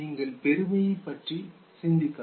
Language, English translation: Tamil, You can think of pride, okay